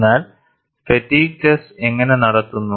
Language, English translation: Malayalam, But how the fatigue test is done